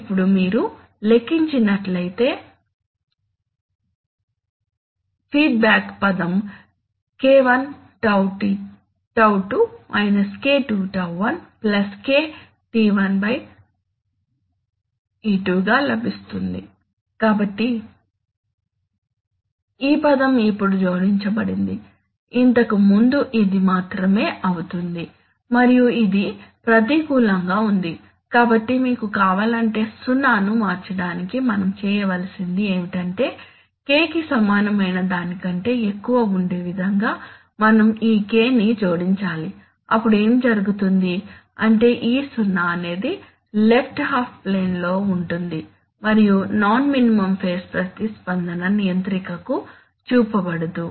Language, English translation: Telugu, Now the feedback term if you calculate then you will get it as (K1 τ2 –k2 τ1) plus K(τ1 τ2), so this is this term has been added now, previously it will only this and it was negative, so if you want to shift the zero then what we have to do is, what we have to do is, we have to add this K in such a manner that k is greater than equal to this, then what will happen is that this 0 will become left half than 0 and the non minimum phase response will not be shown to the controller